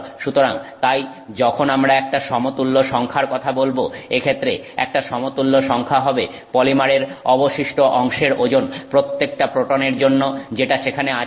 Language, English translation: Bengali, So, therefore when we talk of an equivalent number, an equivalent number in this case would be the weight of the rest of that polymer for every proton that is present